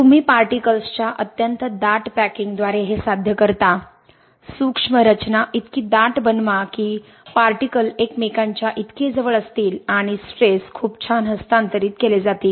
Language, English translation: Marathi, You achieve this by extremely dense packing of particles, make the micro structure so dense so that the particles are so closed to each other stresses are transferred very nicely